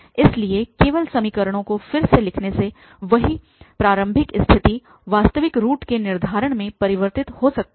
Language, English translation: Hindi, So, by just rewriting the equations the same initial condition may converge to the determination of the actual root